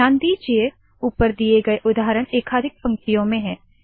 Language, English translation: Hindi, If you notice, the examples shown above are on multiple lines